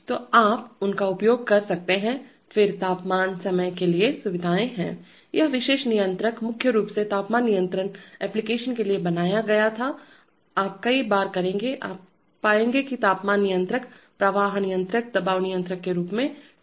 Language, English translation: Hindi, So you could use them, then there are facilities for temperature/time, this particular controller was mainly built for temperature control application, you will many times, you will find that controllers are marked as temperature controllers, flow controllers, pressure controllers